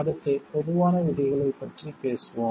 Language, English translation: Tamil, Next we will discuss about the common rules